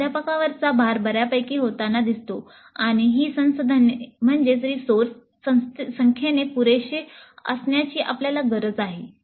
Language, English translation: Marathi, So the load on the faculty is going to be fairly substantial and we need to plan to have these resources adequate in number